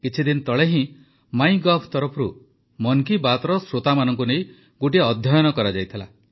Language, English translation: Odia, Just a few days ago, on part of MyGov, a study was conducted regarding the listeners of Mann ki Baat